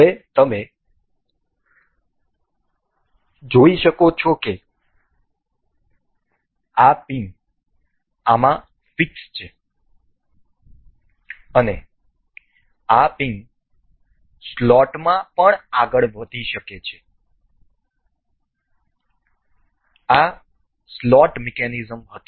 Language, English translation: Gujarati, Now, you can see this pin is fixed into this and this pin can also move on to the slot, this was slot mechanism